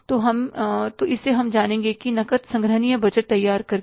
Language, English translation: Hindi, So, we will know by preparing that say cash collection budget